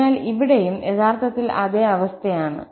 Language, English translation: Malayalam, So, it is the same situation what we have here indeed